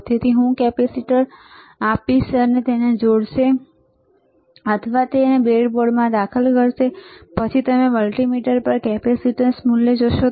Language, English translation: Gujarati, So, I will give a capacitor to him he will connect it or he will insert it in the breadboard, and then you will see the value of the capacitance on the multimeter